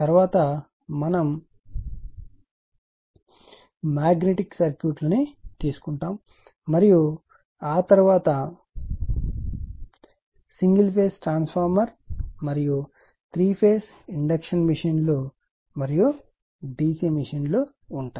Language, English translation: Telugu, Next we will take the magnetic circuits and after that a little bit of single phase transformer and , little bit of three phase induction machines and d c machines so